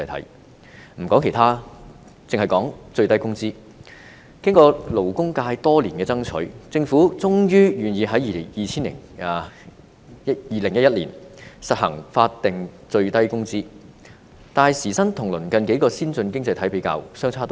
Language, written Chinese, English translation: Cantonese, 先不說其他，單以最低工資而言，經過勞工界多年爭取，政府終於願意在2011年實行法定最低工資，但時薪跟鄰近數個先進經濟體比較，相差頗遠。, Let us not talk about other examples and just look at the minimum wage alone . After many years of lobbying by the labour sector the Government was eventually willing to implement in 2011 a statutory minimum wage but the hourly wage rate is still lower than the several neighbouring advanced economies